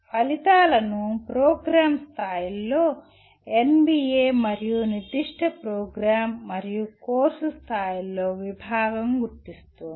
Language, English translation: Telugu, Outcomes are identified by NBA at the program level and by the department at specific program and course levels